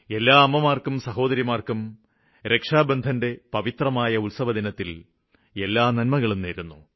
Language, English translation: Malayalam, I offer my best wishes to all mothers and sisters on this blessed occasion of Raksha Bandhan